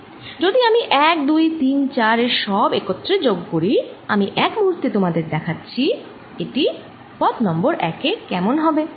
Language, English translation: Bengali, if i add all this together, one, two, three, four, if i add all this together, for a moment i'll just show you what it look like